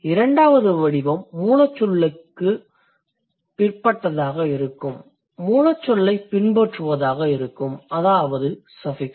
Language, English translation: Tamil, Second category, the affix that follows the root word, that will be a suffix